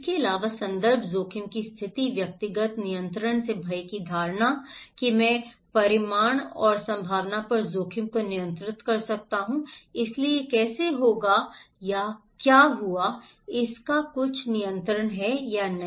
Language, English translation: Hindi, Also, the context, the risk situation, the perception of dread having personal control, that I can control the risk over the magnitude and probability, so how it will happen or what extended to happen, I have some control or not